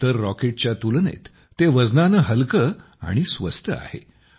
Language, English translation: Marathi, It is also lighter than other rockets, and also cheaper